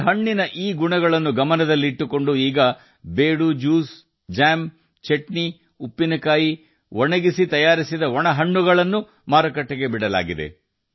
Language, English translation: Kannada, In view of these qualities of this fruit, now the juice of Bedu, jams, chutneys, pickles and dry fruits prepared by drying them have been launched in the market